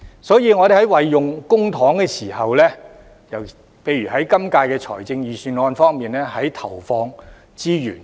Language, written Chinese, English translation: Cantonese, 所以，我們在運用公帑時，例如在今次預算案中決定如何投放資源方面，應當注意。, Therefore we should be careful about the use of public funds when for example making decisions on the allocation of resources in this Budget